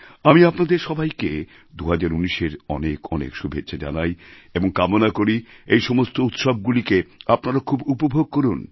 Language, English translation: Bengali, I wish all of you a great year 2019 and do hope that you all to enjoy the oncoming festive season